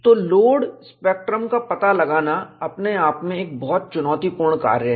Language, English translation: Hindi, So, finding out the load spectrum itself, is a very challenging task